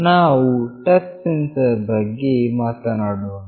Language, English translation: Kannada, We will talk about the touch sensor